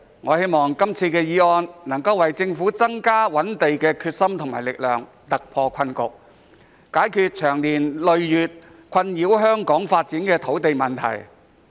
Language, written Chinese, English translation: Cantonese, 我希望這項議案能夠為政府增加覓地的決心和力量，突破困局，解決長年累月困擾香港發展的土地問題。, I hope that this motion will give the Government more determination and power in identifying land and breaking through the deadlock so as to tackle the land problem that has plagued the development of Hong Kong for years